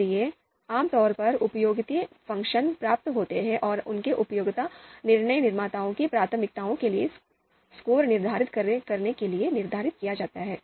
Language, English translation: Hindi, So typically utility functions are derived and they are used to determine the score for DM’s preferences